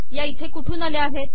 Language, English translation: Marathi, Where do these come from